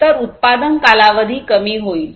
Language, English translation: Marathi, So, there is reduced manufacturing time